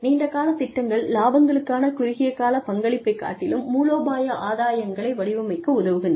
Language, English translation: Tamil, Long term plans, help design strategic gains, rather than, short term contribution, to profits